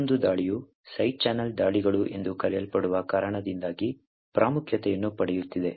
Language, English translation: Kannada, Another attack which is gaining quite importance is due to something known as Side Channel Attacks